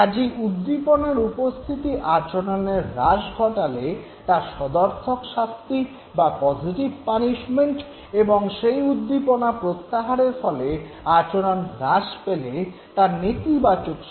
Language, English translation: Bengali, So, you present the stimulus leading to decrease in the behavior, positive punishment, removal of the stimulus and this leads to decrease in the behavior this is considered as negative punishment